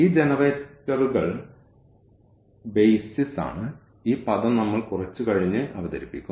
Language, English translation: Malayalam, And, these generators are the BASIS are the BASIS of; so, this term we will introduce little later